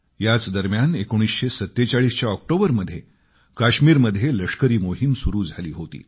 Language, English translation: Marathi, Around this time, military operations commenced in Kashmir